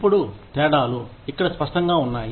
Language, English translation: Telugu, Now, the differences are clearer here